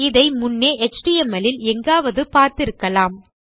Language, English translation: Tamil, You may have seen this somewhere before in html